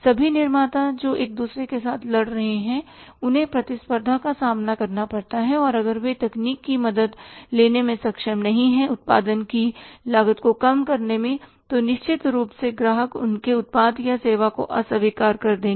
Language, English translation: Hindi, All manufacturers they are say fighting with each other they have to face the competition and if they are not able to take the help of the technology reduce the cost of production then certainly the customers would reject their product or the service